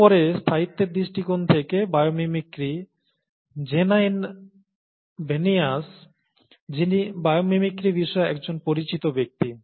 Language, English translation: Bengali, Then bio mimicry from a sustainable angle; Janine Benyus, who is a known person in bio mimicry aspects